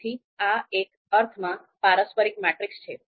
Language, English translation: Gujarati, So so this is in a sense reciprocal matrix